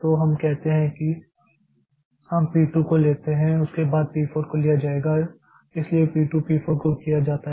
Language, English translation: Hindi, So, that weight time P 2 is 0, P4 is 1, P 3 is 2, then P 5 is 4, P1 is 9